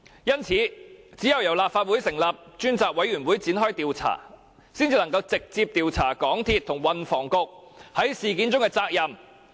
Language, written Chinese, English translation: Cantonese, 因此，只有由立法會成立專責委員會展開調查，才能直接調查港鐵公司和運輸及房屋局在事件中的責任。, Therefore only through an inquiry launched by a select committee set up by the Legislative Council can we directly look into the accountability of MTRCL and the Transport and Housing Bureau for the incident